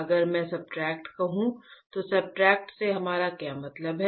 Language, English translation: Hindi, If I say substrate what we mean by substrate, alright